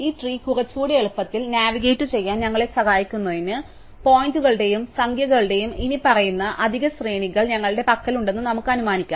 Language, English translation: Malayalam, So, just to help us navigate this tree a little easier, let us assume that we have the following additional arrays of pointers and numbers